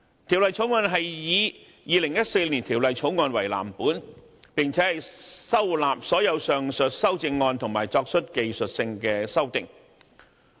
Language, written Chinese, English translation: Cantonese, 《條例草案》是以2014年《條例草案》為藍本，並且收納所有上述修正案，以及作出技術性修訂。, The Bill is based on the Former Bill and incorporates all the aforesaid CSAs . Some technical amendments are also made